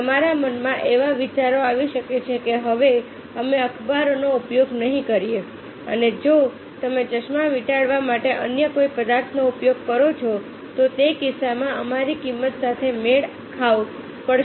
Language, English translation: Gujarati, the idea may come to your mind that we will not use the newspaper anymore, and if you use any other softens are wrapping of the glasses, then in that case we have to match with the cost